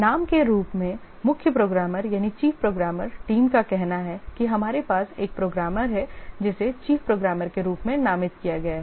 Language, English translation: Hindi, The chief programmer team as the name says we have one of the programmers designated as the chief programmer